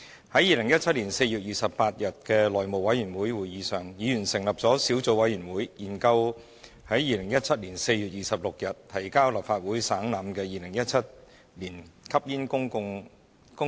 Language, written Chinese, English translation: Cantonese, 在2017年4月28日的內務委員會會議上，議員成立了小組委員會研究在2017年4月26日提交立法會省覽的《2017年吸煙令》。, At the House Committee meeting on 28 April 2017 Members formed a subcommittee to study the Smoking Notices Amendment Order 2017 the Order laid on the table of the Legislative Council on 26 April 2017